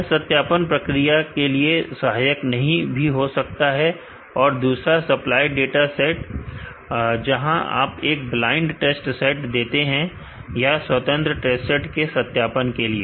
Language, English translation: Hindi, Which may not be useful as a validation procedure and the second is a supplied test set, where you can be feed a blind test set, or independent test set as a for validation